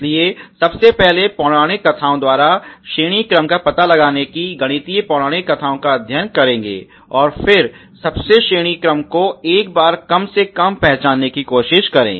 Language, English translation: Hindi, So first of all let’s study the mythology the mathematical mythology of the detecting the ranking order, and then identifying the most ranks to once to the least rank once and taking those most rank once